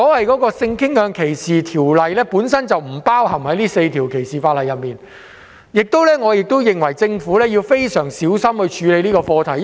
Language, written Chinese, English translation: Cantonese, 鑒於性傾向歧視法例本來不在這4項反歧視條例中，我認為政府應該非常小心處理這課題。, Given that the legislation against sexual orientation discrimination was not included in the four anti - discrimination ordinances at the outset I think the Government should tackle this issue with great caution